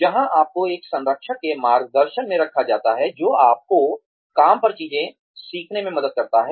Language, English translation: Hindi, Where, you are put under the guidance of a mentor, who helps you learn things on the job